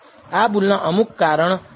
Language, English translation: Gujarati, There could be several reasons for this error